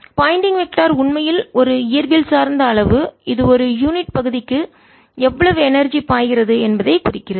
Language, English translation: Tamil, as you recall, pointing vector actually is a physical quantity which indicates how much energy per unit area is flowing